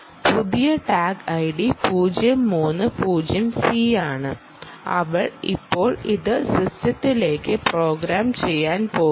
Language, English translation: Malayalam, the new tag, the new tag id is zero three ah, zero c, and she is now going to program this into the system